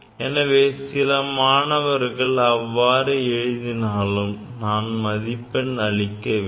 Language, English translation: Tamil, So, if some student write this one also, I have to give marks to him also